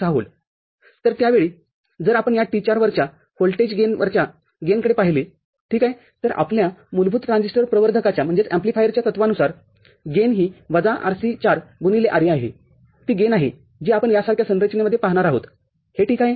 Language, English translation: Marathi, So, at that time, if you will look at the gain across this voltage gain across this T4, ok, so from our basic transistor amplifier principle the gain is minus Rc4 by Re, that is the gain that we shall see in a configuration like this alright